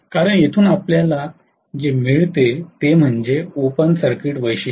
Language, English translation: Marathi, Because what we get from here is the open circuit characteristics